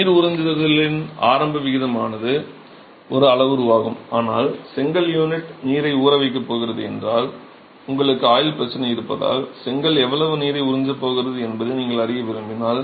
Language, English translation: Tamil, The initial rate of water absorption is one parameter but if you want to know how much is the brick going to absorb water as such because you have a durability problem if the brick unit is going to be soaking water